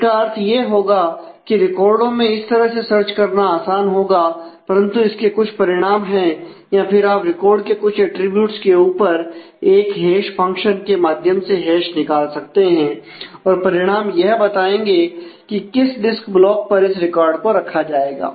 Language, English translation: Hindi, So, what it will mean that it will become easier to search the records in that way, but it has consequences or you can hash you can use a hash function on a some of the attributes of the record and the results specified on which block which disk block the record will be placed